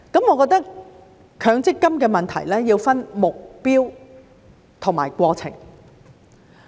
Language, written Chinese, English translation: Cantonese, 我認為強積金的問題要分目標和過程。, I think on the question of MPF we should look at the goal and the process separately